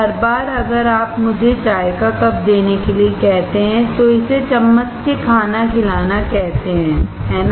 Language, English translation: Hindi, Every time, if you ask to give me the cup of tea, it is called spoon feeding, isn't it